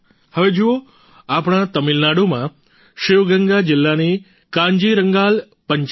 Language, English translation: Gujarati, Now look at our Kanjirangal Panchayat of Sivaganga district in Tamil Nadu